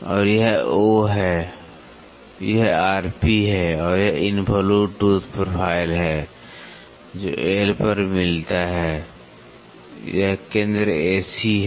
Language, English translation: Hindi, And this is O this is R p and this is the involute tooth profile, which meets at L this is centre A C